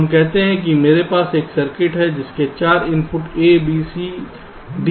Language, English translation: Hindi, so we take a four input circuit with input a, b, c and d